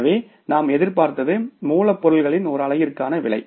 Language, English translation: Tamil, So, what we anticipated is the price per unit of the raw material